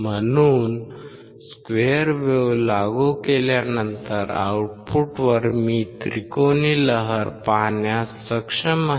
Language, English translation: Marathi, So, an application of a square wave at the output I am able to see the triangular wave